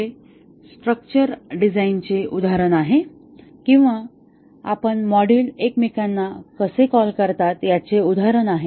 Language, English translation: Marathi, This is an example of a structure design or an example of how the modules call each other